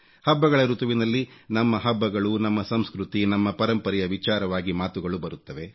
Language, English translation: Kannada, During the festival season, our festivals, our culture, our traditions are focused upon